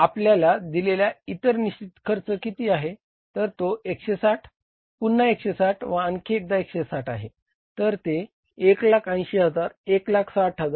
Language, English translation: Marathi, Other fixed cost is what is given to us is 160, this is again 160, and this is again 160,000 same